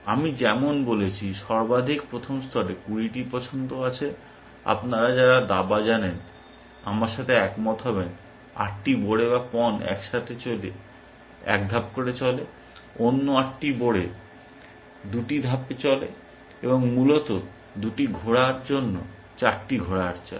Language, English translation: Bengali, As I said, at a max first level, there are 20 choices, those of you know chess will agree with me, eight pawns eight pawn moves with one step, another eight pawn moves with two steps, and four knight moves for the two knight essentially